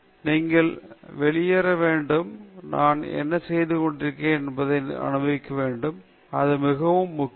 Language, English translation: Tamil, We have to freak out, we have to enjoy what we are doing; that’s very important